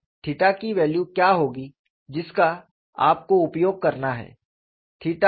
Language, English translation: Hindi, So, what would be the value of theta that you have to use